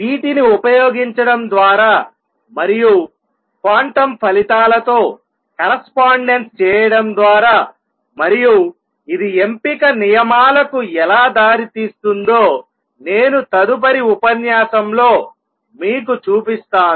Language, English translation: Telugu, Using these and making correspondence with the quantum results I will show you in next lecture how this leads to selection rules